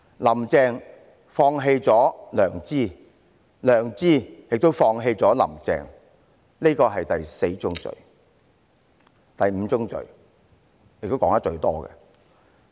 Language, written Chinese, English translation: Cantonese, "林鄭"放棄了良知，良知亦放棄了"林鄭"，這是第四宗罪。, Carrie LAM has given up her conscience; conscience has also given up on Carrie LAM . This is the fourth sin